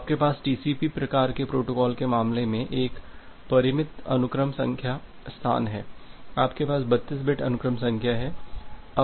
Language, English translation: Hindi, So, you have a finite sequence number space in case of TCP kind of protocol, you have 32 bit sequence number